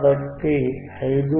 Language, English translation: Telugu, Wwhich is 2